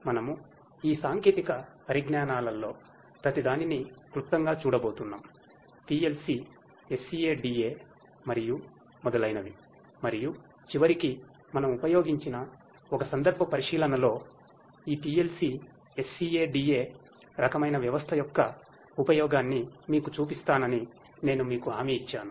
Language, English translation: Telugu, So, we are going to have a brief look at each of these technologies PLC, SCADA and so on and at the end, I promised you to show you the use of this PLC, SCADA kind of system in a case study that we have used for implementing a certain application with the help of this PLC, SCADA kind of system